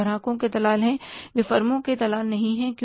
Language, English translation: Hindi, They are the agents of customers, they are not the agents of the firms